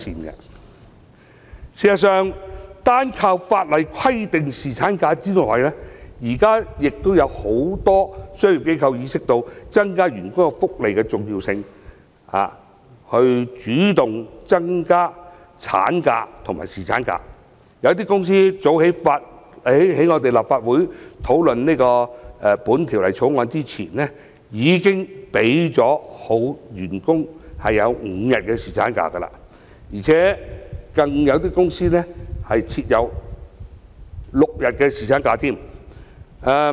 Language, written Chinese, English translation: Cantonese, 事實上，單靠法例規定侍產假之外，現時也有很多商業機構意識到增加員工福利的重要性，並主動增加產假和侍產假，有些公司早於立法會討論《條例草案》前已經給予員工5天侍產假，而且更有公司設有6天侍產假。, In fact on top of providing statutory paternity leave as required by legislation many commercial enterprises are now aware of the importance of offering better employee benefits and on their initiative have granted longer maternal leave and paternity leave for their employees . Even before the Legislative Council discussed the Bill some companies have already provided a five - day paternity leave or even a six - day paternity leave for their employees